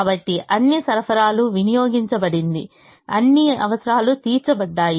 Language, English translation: Telugu, so all the supplies have been consumed, all the requirements have been met